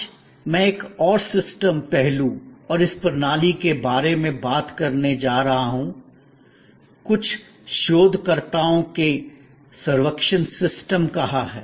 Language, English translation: Hindi, Today, I am going to talk about another systems aspect and this system, some researchers have called servuction system